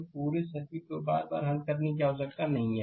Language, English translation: Hindi, So, no need to solve the whole circuit again and again